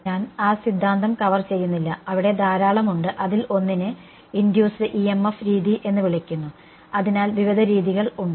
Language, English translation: Malayalam, And I am not covering those theory there is a lot of one is called induced EMF method so, on various methods are there ok